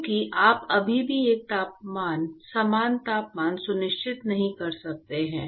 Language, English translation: Hindi, Because you still cannot ensure uniform temperature